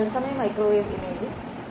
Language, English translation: Malayalam, Real time microwave imaging